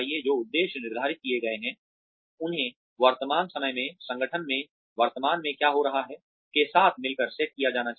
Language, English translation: Hindi, The objectives that are set, should be set in conjunction with the current timeline of the, what is currently happening in the organization